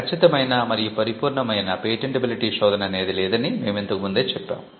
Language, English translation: Telugu, And we had already mentioned that there is no such thing as a perfect patentability search